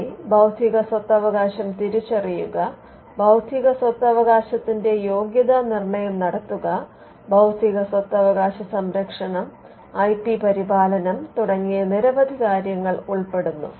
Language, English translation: Malayalam, It includes many things like identifying intellectual property, screening intellectual property, protecting intellectual property, maintaining IP as well